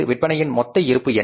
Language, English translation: Tamil, So, what are going to be total sales